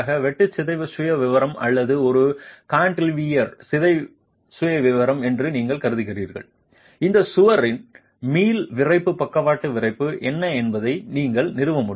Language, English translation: Tamil, You assume shear deformation profile or a cantilever deformation profile, you will be able to establish what is the elastic stiffness, lateral stiffness of this wall